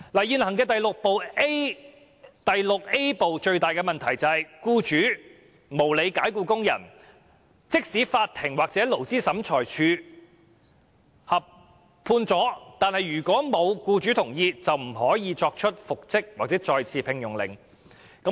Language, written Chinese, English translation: Cantonese, 現行《僱傭條例》第 VIA 部的最大問題，就是在僱主無理解僱工人的情況下，法庭或勞資審裁處如無僱主同意，不可作出復職或再次聘用的命令。, Regarding Part VIA of the current Employment Ordinance its biggest problem is that in a case of unreasonable dismissal the court or Labour Tribunal is not empowered to make a reinstatement or re - engagement order without the consent of the employer . This arrangement is simply absurd